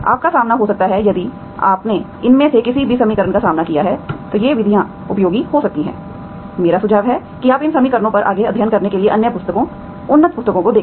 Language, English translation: Hindi, You may encounter, if you have encountered any of these equations, these methods can be useful, I suggest you to look into other books, advanced books for the 2, and study further on these equations, okay